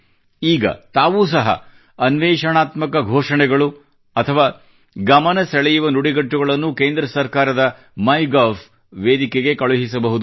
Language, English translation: Kannada, Now you can also send such innovative slogans or catch phrases on MyGov